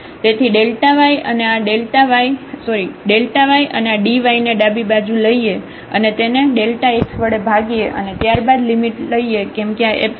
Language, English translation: Gujarati, So, the delta y and we take this dy to the left and divided by this delta x and then take the limit since this epsilon goes to 0 as delta x goes to 0